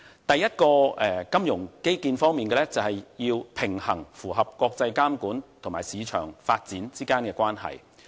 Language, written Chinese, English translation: Cantonese, 第一個金融基建方面的是，平衡符合國際監管與市場發展之間的關係。, The first thing about the financial infrastructure is to strike a balance between the compliance with international regulatory standards and market development